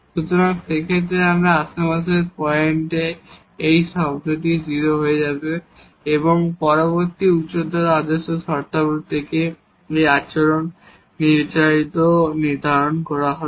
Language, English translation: Bengali, So, in that case at all those points in the neighborhood, this term will become 0 and the behavior will be determined from the next higher order terms